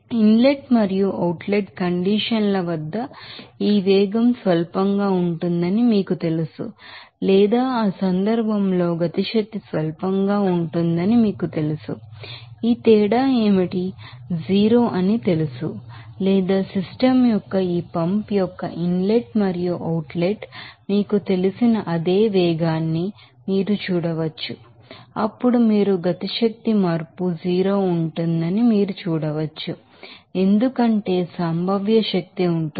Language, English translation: Telugu, Since, here this velocity at the inlet and outlet conditions are you know negligible or kinetic energy is negligible in that case, we can say that this difference will be you know 0 or you can see the same velocity of that you know inlet and outlet of this pump there of the system, then you can see that there will be you know kinetic energy change will be 0 for has potential energy it will come because of that elevation